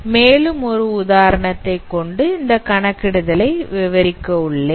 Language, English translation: Tamil, So let me explain elaborate these computations using an example